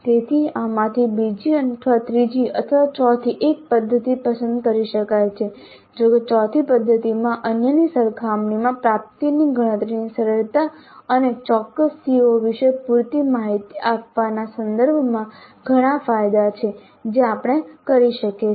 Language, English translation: Gujarati, So either the second or the third or the fourth one of these methods can be chosen though the fourth method does have several advantages over the others in terms of simplicity of calculating the attainment and giving adequate information regarding specific COs that we can do